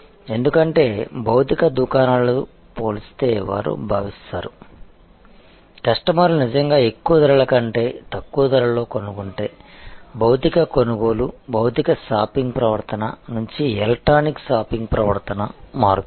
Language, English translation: Telugu, Because, they feel that compare to the physical stores, if customers really find lower prices than more and more will shift from physical purchasing, physical shopping behavior to electronic shopping behavior